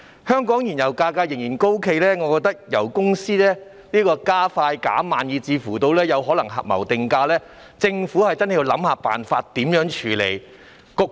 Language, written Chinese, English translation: Cantonese, 香港燃油價格仍然高企，我認為油公司油價加快減慢，甚至可能有合謀定價的情況，政府真的要想想辦法處理。, The fuel price in Hong Kong is still high . In my view oil companies are quick in raising but slow in reducing pump prices and there may even be price fixing among oil companies . The Government must really think of ways to tackle the problem